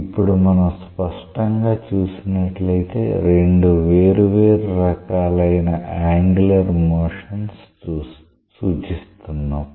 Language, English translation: Telugu, Now, if we see clearly we have come up with two different types of angular motion representations